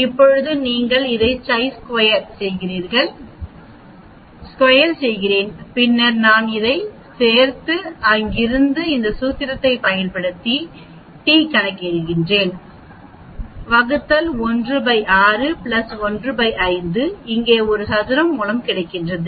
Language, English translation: Tamil, Now you are squaring this also because I need to get here right, so I am squaring this and then I am adding this and then from there I calculate the t using this formula the denominator is 1 by 6 plus 1 by 5 a square root here